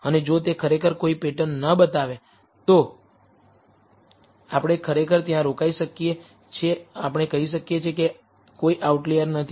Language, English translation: Gujarati, And if that actually shows no pattern we can actually stop there we can say that are no outliers